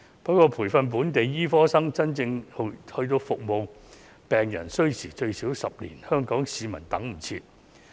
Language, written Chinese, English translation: Cantonese, 不過，由培訓本地醫生到他們能夠真正服務病人需時最少10年，香港市民等不到。, Nevertheless it takes at least 10 years to train local doctors until they can actually serve patients . Hong Kong people cannot wait that long